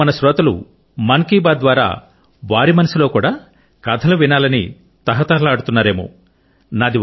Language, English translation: Telugu, Now our audience of Mann Ki Baat… they too must be wanting to hear a story